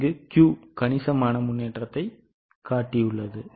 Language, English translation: Tamil, Q has shown substantial improvement